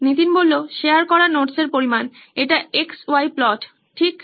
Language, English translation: Bengali, Quantity of notes share and this is the X, Y plot right